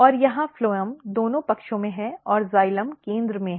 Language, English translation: Hindi, And here you are look that phloem is basically everywhere and xylem is in the center